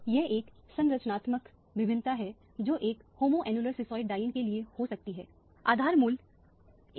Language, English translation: Hindi, This is a structural variation that can take place and for a homoannular cisoid diene, the base value is taken as 253 nanometer